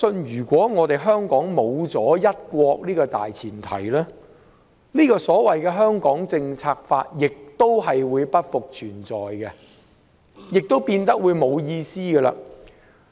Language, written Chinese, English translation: Cantonese, 如果沒了"一國"這個大前提，《香港政策法》亦會不復存在，亦會變得毫無意義。, Without the premise of one country the Hong Kong Policy Act would no longer exist and would become meaningless